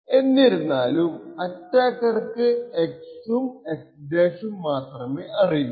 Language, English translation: Malayalam, However, what the attacker only has is x and the x~